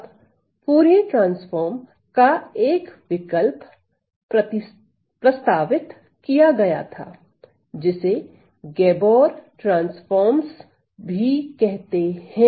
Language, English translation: Hindi, So, then an alternative was proposed, an alternative was proposed to Fourier transform also known as the Gabor transforms